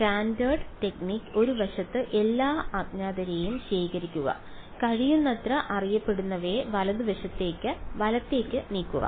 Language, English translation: Malayalam, Standard technique gather all the unknowns on one side move as many knowns as possible to the right hand side right